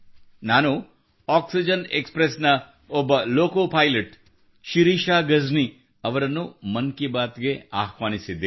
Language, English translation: Kannada, I have invited Shirisha Gajni, a loco pilot of Oxygen Express, to Mann Ki Baat